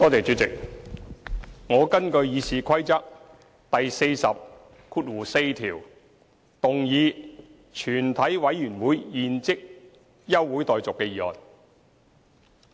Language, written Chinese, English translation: Cantonese, 主席，我根據《議事規則》第404條，動議"全體委員會現即休會待續"的議案。, Chairman in accordance with Rule 404 of the Rules of Procedure I move a motion that further proceedings of the committee be now adjourned